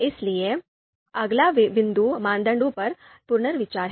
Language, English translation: Hindi, So, the next point is reconsidering criteria